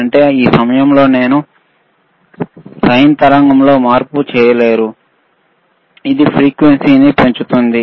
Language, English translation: Telugu, Tthat means, you at this point, you will not be able to see the change in the sine wave, that it is increasing the frequency